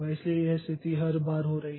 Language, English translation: Hindi, So, this situation is occurring every time